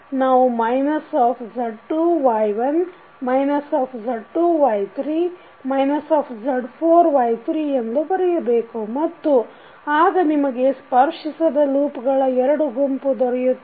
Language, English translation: Kannada, We can write minus of Z2 Y1 minus of Z2 Y3 minus of Z4 Y3 which you will get from this particular individual loops